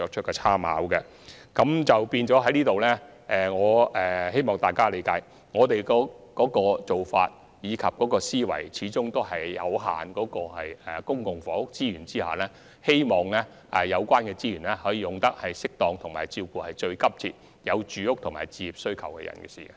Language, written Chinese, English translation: Cantonese, 因此，在這方面，希望大家理解我們的做法及思維，因為在公共房屋資源有限的情況下，我們始終希望有關資源可運用得宜，以照顧有最急切住屋和置業需求的人士。, Hence I hope Members can understand our approach and thoughts in this regard . Under the circumstances that public housing resources are limited we still hope to achieve optimal use of such resources to cater to the needs of those who have the most urgent for housing and home ownership demands